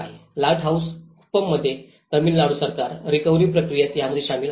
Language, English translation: Marathi, In Lighthouse Kuppam, Tamil Nadu Government is involved in it in the recovery process